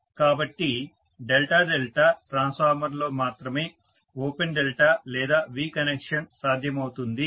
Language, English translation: Telugu, So open delta or V connection is possible only in delta delta transformer that is the major advantage of delta delta transformer